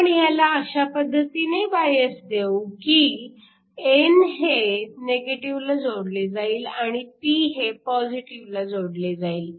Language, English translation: Marathi, We bias this in such a way, n is connected to negative and p is connected to positive